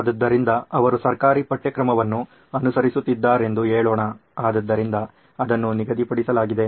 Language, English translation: Kannada, So let’s say she is following a government syllabus so that’s fixed